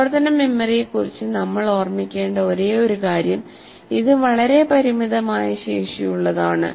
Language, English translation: Malayalam, See, the only thing that we need to remember about working memory, it is a very limited capacity